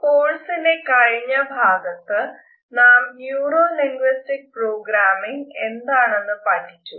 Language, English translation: Malayalam, In the previous module we had referred to Neuro linguistic Programming